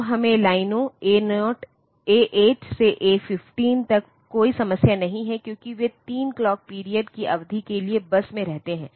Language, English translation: Hindi, So, there is no problem with those the lines, because they remain in the bus for 3 clock periods